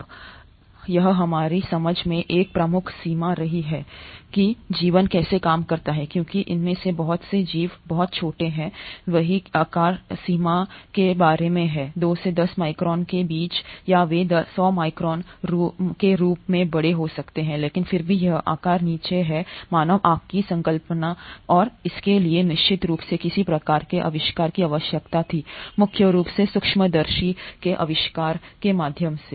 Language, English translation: Hindi, Now this has been one of the major limitations in our understanding of how life works because a lot of these organisms are much smaller; they are about the size range of anywhere between 2 to 10 microns or they can be as big as 100 microns but yet this size is way below the resolution of human eye and this surely required some sort of invention and that came in mainly through the invention of microscopes